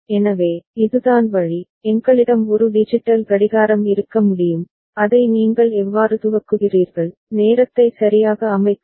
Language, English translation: Tamil, So, this is the way, we can have a digital clock in place and it is how you initialize it, set the time correct